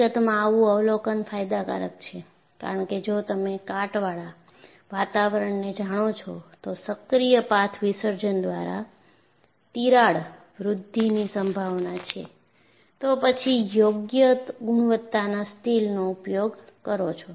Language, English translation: Gujarati, In fact, an observation like this, is advantageous; because if you know your corrosive environment, there is a possibility of crack growth by active path dissolution, then use an appropriate quality of steel